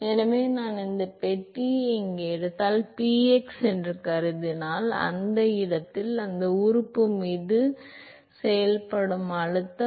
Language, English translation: Tamil, So, supposing if I take this box here, if supposing px is the pressure that is acting on that element in that location